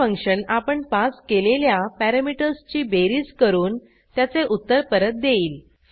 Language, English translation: Marathi, This function does the addition of the passed parameters and returns the answer